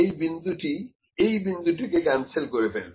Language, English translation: Bengali, This point would cancel this point approximately